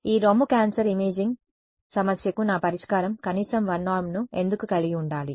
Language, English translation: Telugu, Why should my solution to this breast cancer imaging problem have minimum 1 norm